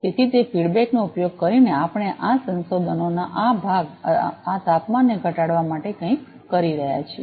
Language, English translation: Gujarati, So, using that feedback we are do something to reduce this temperature this part of our research